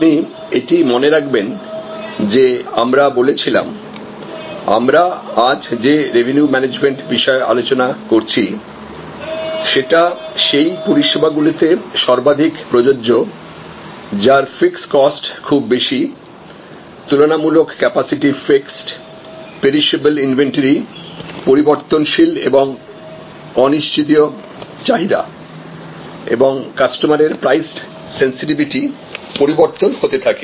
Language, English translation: Bengali, And you remember that, we said that revenue management the advanced topic that we are discussing today is most applicable in those services, which have high fixed cost structure, relatively fixed capacity, perishable inventory, variable and uncertain demand and varying customer price sensitivity